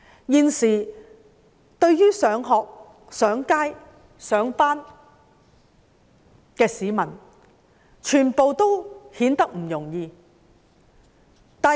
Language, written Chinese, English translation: Cantonese, 現時市民要出外上班、上學，都並不容易。, During this period of time it is not easy for the public to travel to work or to school